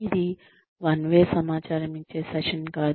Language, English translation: Telugu, This is not, a one way information giving session